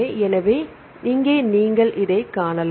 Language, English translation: Tamil, So, here you can see right